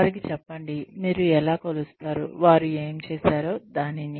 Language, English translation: Telugu, Tell them, how you will measure, what they have done